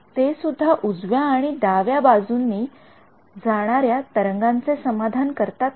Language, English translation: Marathi, Do they also satisfied both left and right wave